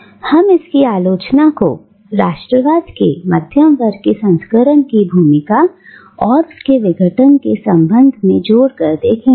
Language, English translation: Hindi, " And, we will be looking at its criticism on the role of the middle class version of nationalism, and its relation with decolonisation